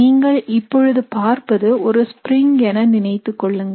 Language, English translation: Tamil, This is just imagining as if this is a spring that you are looking at